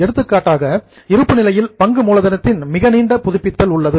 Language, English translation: Tamil, For example, in balance sheet, share capital has the longest tenure